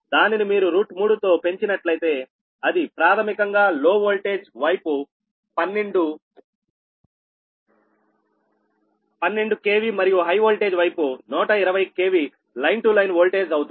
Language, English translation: Telugu, that is, if you multiply by root three root three, it will basically twelve ah on the low voltage side, twelve k v and high voltage side will be one twenty k v line to line, right